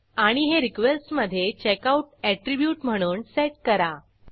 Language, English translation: Marathi, And set it into request as checkout attribute